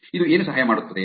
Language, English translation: Kannada, What does it help